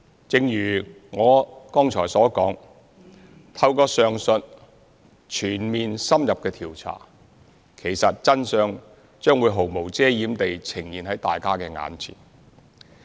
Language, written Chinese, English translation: Cantonese, 正如我剛才所說，透過上述全面、深入的調查，其實真相將會毫無遮掩地呈現在大家眼前。, As stated by me earlier the aforesaid comprehensive and in - depth investigation will actually unveil the unadorned truth before us